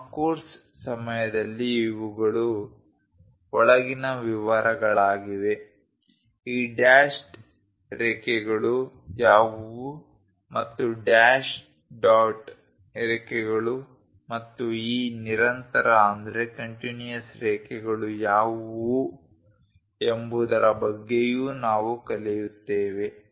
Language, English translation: Kannada, These are the inside details during our course we will learn about what are these dashed lines and also dash dot lines and what are these continuous lines also